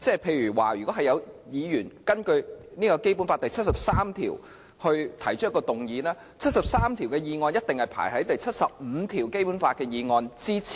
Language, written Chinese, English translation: Cantonese, 例如，若有議員根據《基本法》第七十三條提出議案，根據第七十三條提出的議案一定排列在根據第七十五條提出的議案之前。, For example if a Member moves a motion under Article 73 of the Basic Law then the order of this motion must precede the other motion moved under Article 75 of the Basic Law